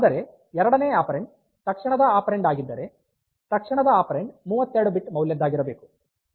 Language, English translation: Kannada, But if this second operand is an immediate operand then the immediate operand must be 32 bit value